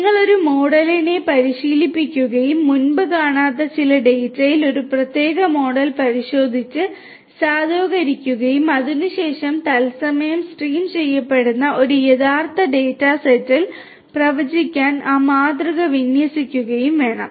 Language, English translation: Malayalam, You have to train a model and then test and validate that particular model on some previously unseen data and thereafter deploy that model to make predictions on an actual data set which is being streamed in real time